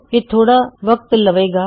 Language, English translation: Punjabi, Its going to take a while